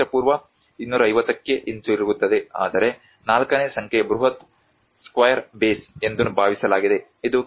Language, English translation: Kannada, So, that is again goes back to 250 BC\'eds whereas number 4 which is supposed a huge square base which is between 250 to 200 BC\'eds